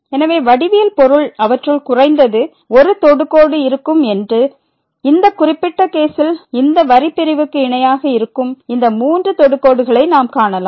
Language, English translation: Tamil, So, the geometrical meaning is that they will be at least one tangent; in this particular case we can see these three tangents which are parallel to this line segment